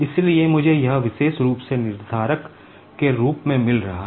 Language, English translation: Hindi, So, I will be getting this particular as the determinant